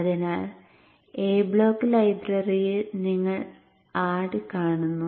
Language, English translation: Malayalam, So in the A block library you see add